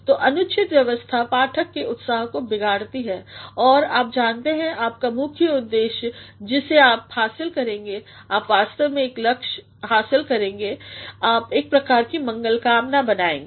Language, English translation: Hindi, So, improper arrangement breaks the reader's enthusiasm and you know your main purpose what you are going to achieve is, you are actually going to achieve a purpose, you are going to create a sort of goodwill